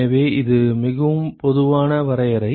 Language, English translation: Tamil, So, this is a very generic definition